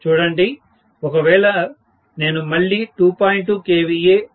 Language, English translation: Telugu, See, if I am talking about again 2